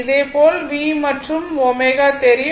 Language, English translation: Tamil, So, similarly you know v you know omega